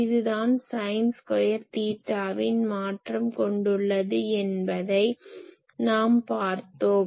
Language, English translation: Tamil, So, we know this is a sin square theta variation